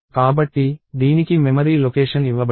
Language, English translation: Telugu, So, it is given a memory location